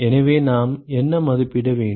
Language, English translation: Tamil, So, what do we need to estimate